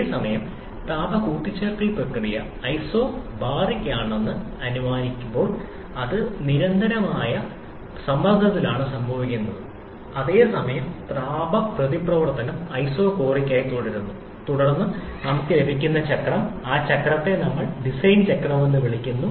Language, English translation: Malayalam, This is the ideal cycle for SI engine whereas when the heat addition process is assumed to be isobaric that is happening at constant pressure whereas heat reaction remains isochoric, then the cycle that we get, that cycle we call the Diesel cycle